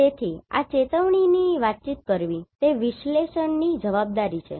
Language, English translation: Gujarati, So communicating alert, that is the responsibility of the analyst